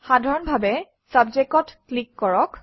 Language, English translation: Assamese, Simply click on Subject